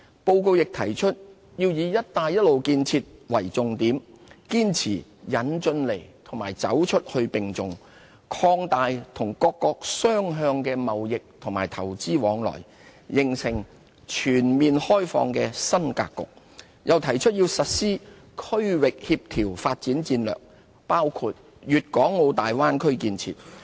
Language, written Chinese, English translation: Cantonese, 報告亦提出要以"一帶一路"建設為重點，堅持"引進來"和"走出去"並重，擴大與各國雙向投資和貿易往來，形成全面開放的新格局，又提出要實施區域協調發展戰略，包括粵港澳大灣區建設。, The report also proposed to pursue the Belt and Road Initiative as a priority and give equal emphasis to bringing in and going global with a view to boosting two - way investment and trade flows between China and other countries thus making new ground for opening up on all fronts . Moreover the report advocated the implementation of a coordinated regional development strategy including the development of the Guangdong - Hong Kong - Macao Bay Area Bay Area